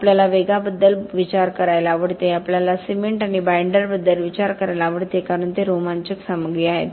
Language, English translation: Marathi, We love to think about the pace, we love to think about cements and binders because they are the exciting stuff